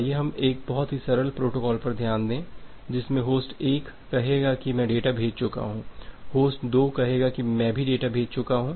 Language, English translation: Hindi, So, let us look into a very simple protocol that host 1 will say that, I am done; host 2 will say that I am done too